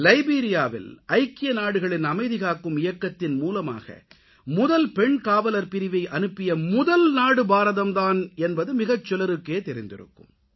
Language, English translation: Tamil, Very few people may know that India was the first country which sent a female police unit to Liberia for the United Nations Peace Mission